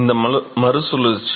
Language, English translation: Tamil, This re circulation